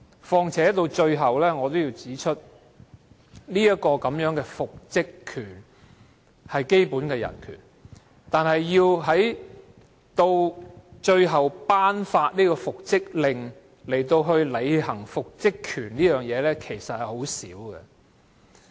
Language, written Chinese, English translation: Cantonese, 況且，復職權是基本人權。但是，僱員要求法庭頒布復職令，並且行使其復職權的情況，其實鮮會出現。, In addition while the reinstatement right is a basic human right few employees will actually apply to the court for reinstatement orders and exercise their reinstatement right thereafter